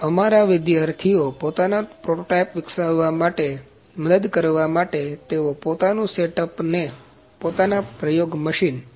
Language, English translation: Gujarati, So to help our students to develop their own prototypes, their own setups and experiments machineries